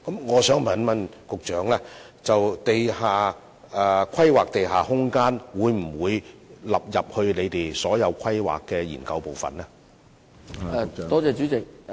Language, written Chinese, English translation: Cantonese, 我想問局長，政府會否把規劃地下空間納入政府所有規劃研究，使之成為當中的一部分？, I would like to ask the Secretary whether the Government will include the planning of underground space in all planning studies so that it will become a part of these studies?